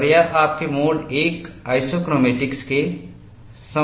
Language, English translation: Hindi, And this is very similar to your mode one isochromatics